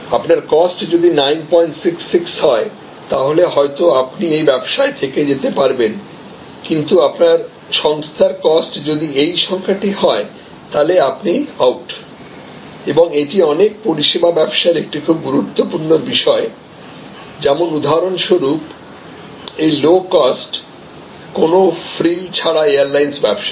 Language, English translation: Bengali, 66 then maybe you can be here, but if you are here then you are out and that is a very important point in many service businesses like for example, this low cost, no frills airlines business